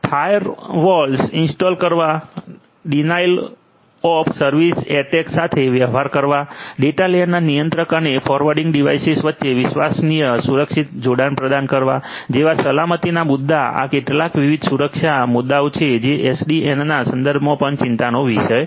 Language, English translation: Gujarati, Security issues like you know installing firewalls, dealing with denial of service attacks, offering reliable secure connection between the controller and the forwarding devices in the data layer, these are the some of these different security issues that are also of concern in the context of SDN